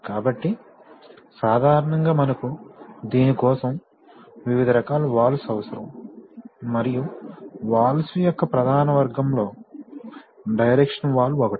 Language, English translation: Telugu, So, we need various kinds of, typically we need various kinds of valves for this and one of the major category of valves is, are called directional valves